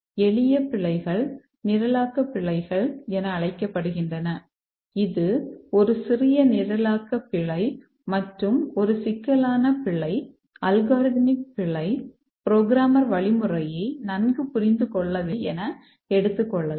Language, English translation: Tamil, The simple bugs are called as the programming bugs, just a small programming error and a complex bug may be an algorithmic bug, the programmer did not understand the algorithm well and so on